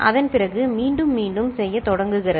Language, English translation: Tamil, After that, again it starts repeating